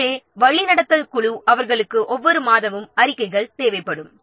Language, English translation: Tamil, So steering committee may be they will require the reports on every month